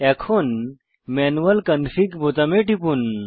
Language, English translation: Bengali, Now, click on the Manual Config button